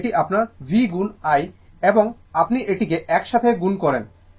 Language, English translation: Bengali, So, it is your it is your v into i and you multiply this together you multiply